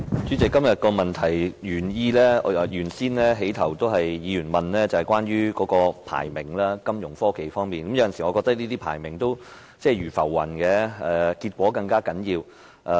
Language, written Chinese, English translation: Cantonese, 主席，今天這項主體質詢在開始時問及有關金融科技的排名，我認為這些排名如浮雲，結果才更為重要。, President the beginning part of this main question today asks about the ranking of Fintech . In my view such ranking is transient like the floating clouds . Only the results are important